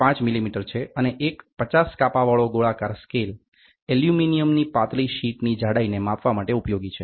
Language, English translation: Gujarati, 5 millimeter and a circular scale with 50 divisions is used to measure the thickness of a thin sheet of Aluminium